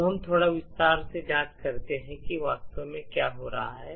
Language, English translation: Hindi, Now we could investigate a little bit in detail and see what actually is happening